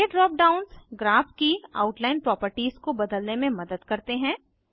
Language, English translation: Hindi, These drop downs help to change the outline properties of the Graph